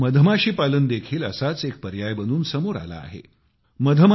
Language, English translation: Marathi, Now bee farming is emerging as a similar alternative